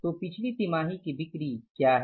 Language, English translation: Hindi, So, what is the previous quarter sales